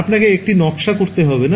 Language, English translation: Bengali, You do not have to design it